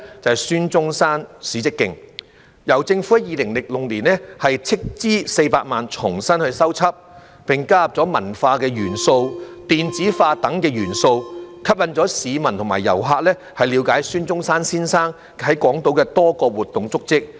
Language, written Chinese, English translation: Cantonese, 便是孫中山史蹟徑，由政府在2006年斥資400萬元重新修葺，並加入文化、電子化等元素，吸引市民和遊客了解孫中山先生在港島的多個活動足跡。, It is the Dr SUN Yat - sen Historical Trail which was renovated by the Government in 2006 at a cost of 4 million . Cultural and electronic elements have been added to attract members of the public and tourists to trace Dr SUNs various activities on Hong Kong Island